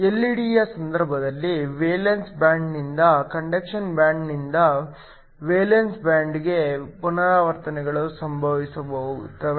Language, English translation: Kannada, In the case of an LED, transitions occur from the valence band, from the conduction band to the valence band